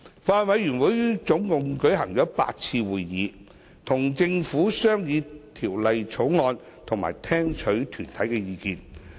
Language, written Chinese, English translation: Cantonese, 法案委員會總共舉行了8次會議，與政府商議《條例草案》及聽取團體的意見。, The Bills Committee has held a total of eight meetings to deliberate on the Bill with the Government and receive views from deputations